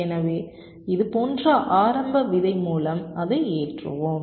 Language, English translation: Tamil, so we load it with the initial seed like this